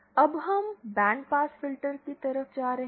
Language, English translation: Hindi, Now coming to band pass filters